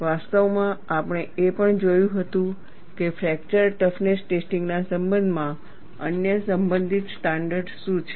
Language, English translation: Gujarati, In fact, we had also looked at, what are the other relevant standards, in connection with fracture toughness testing